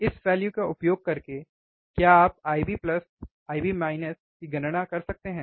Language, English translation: Hindi, 1 uUsing this value, can you calculate I b plus, I b minus